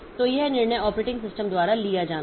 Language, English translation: Hindi, So, this is this decision has to be taken by the operating system